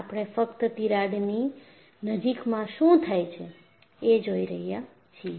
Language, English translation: Gujarati, We are only looking at what happens in the vicinity of the crack